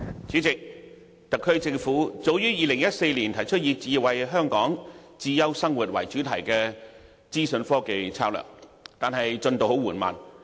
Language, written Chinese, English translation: Cantonese, 主席，特區政府早於2014年提出以"智慧香港，智優生活"為主題的資訊科技策略，但推行進度十分緩慢。, President the SAR Government proposed as early as in 2014 an information technology strategy with the theme Smarter Hong Kong Smarter Living but the implementation progress was very slow